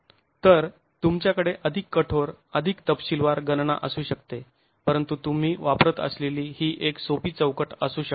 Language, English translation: Marathi, So, you can have more rigorous, more detailed calculations, but this is a simple framework that you could use